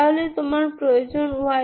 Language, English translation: Bengali, So this is actually satisfying y 2